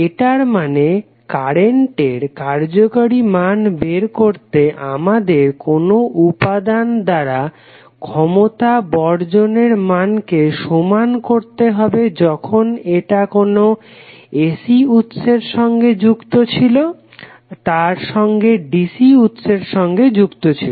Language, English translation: Bengali, It means that to find out the effective value of current we have to equate the power dissipated by an element when it is connected with AC source and the DC source